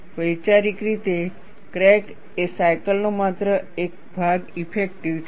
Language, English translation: Gujarati, Conceptually, the crack is effective, only part of the cycle